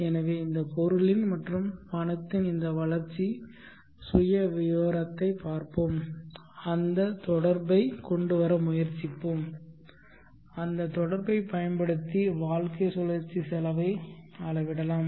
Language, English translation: Tamil, So let us look at this growth profile of this item and money and try to bring in that relationship and use that relationship to measure the lifecycle cost